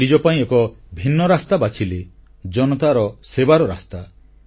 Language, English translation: Odia, He chose a different path for himself a path of serving the people